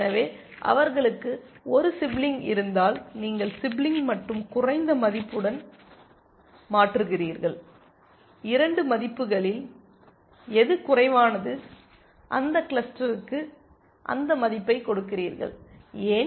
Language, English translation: Tamil, So, in case they have a sibling, you replace with sibling and lower value, whichever is the lower of the 2 values is you give that value to that cluster, why